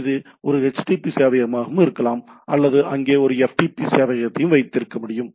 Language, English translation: Tamil, It can be a domain, it can be a domain server, it also can be a http server or I can have a FTP server over there